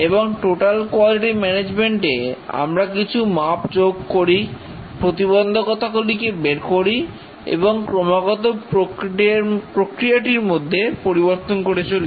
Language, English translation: Bengali, And total quality management, we have process measurements, find out the bottlenecks and continuously change the process